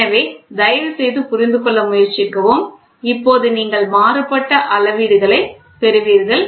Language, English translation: Tamil, So, please try to understand and now you see varying data points you get varying measurements